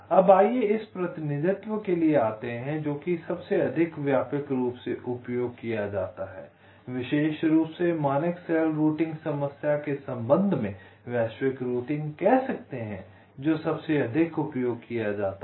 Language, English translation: Hindi, fine, now let us come to the representation which is most widely used, for you can say global routing, particularly in connection with the standard cell routing problem, which is most widely used